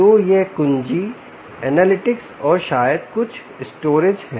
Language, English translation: Hindi, so this is key analytics and maybe some storage